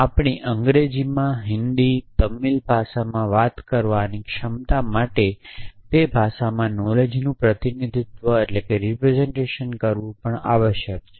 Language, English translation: Gujarati, Capability is to talk us in our languages in English, Hindi, Tamil whatever and represent knowledge also in those language is essentially